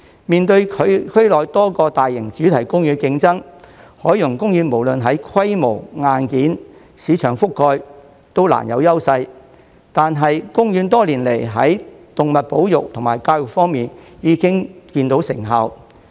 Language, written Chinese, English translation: Cantonese, 面對區內多個大型主題公園的競爭，海洋公園無論在規模、硬件、市場覆蓋都難有優勢，但公園多年來在動物保育及教育方面已見成效。, In view of competition from many large - scale theme parks in the region OP has little advantage in terms of scale hardware or market coverage but OP has achieved effective results in animal conservation and education over the years